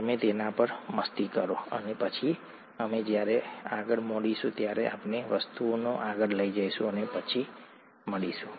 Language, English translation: Gujarati, You munch on it, and then when we meet next, we will take things forward, see you then